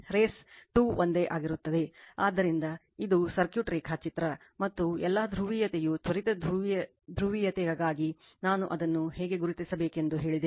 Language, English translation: Kannada, Race 2 remains same, so this is the circuit diagram and all polarity as instantaneous polarity I told you how to mark it